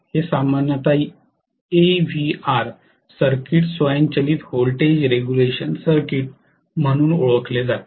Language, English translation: Marathi, It is generally known as AVR circuit alter automatic voltage regulation circuit, automatic voltage regulation right